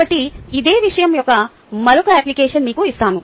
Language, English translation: Telugu, so let me give you, ah, another application of the same thing